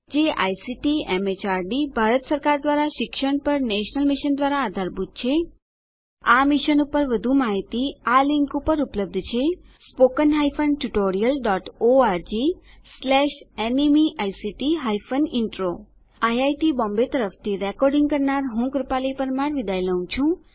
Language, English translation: Gujarati, It is supported by the National Mission on Education through ICT, MHRD, Government of India More information on this Mission is available at spoken hyphen tutorial dot org slash NMEICT hyphen Intro This tutorial has been contributed by DesiCrew Solutions Pvt